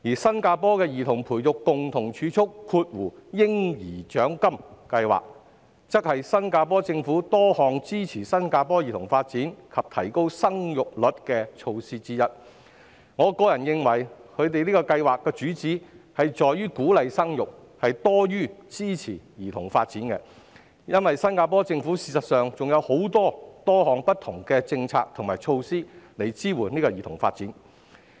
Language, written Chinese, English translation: Cantonese, 新加坡的兒童培育共同儲蓄計劃，則是新加坡政府多項支持新加坡兒童發展及提高生育率的措施之一，我認為該計劃旨在鼓勵生育多於支持兒童發展，因為事實上新加坡政府亦有推行多項不同的政策及措施，支援兒童發展。, Singapores Child Development Co - Savings Baby Bonus Scheme is one of the Singaporean Governments initiatives to support local children and increase fertility rate . In my view the scheme is aimed to encourage births rather than support childrens development because in fact the Singaporean Government has also implemented various policies and initiatives to support childrens development